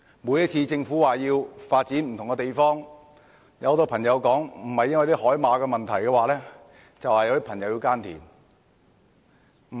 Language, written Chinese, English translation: Cantonese, 每次政府說要發展不同的地方，不是有人說要保護海馬，就是有人說要耕田。, Whenever the Government proposes to take forward development at various sites there would be people championing for the conservation of sea horses or the preservation of farming activities